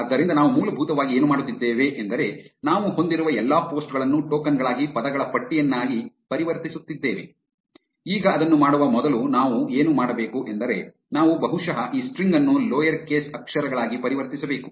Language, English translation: Kannada, So, what we are essentially doing is we are converting all the posts that we have, into tokens into a list of words, now before doing that what we should do is we should also probably convert this string into lower case letters